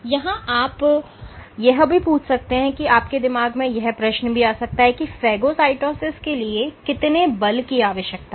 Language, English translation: Hindi, You might also ask that how much force is required for phagocytosis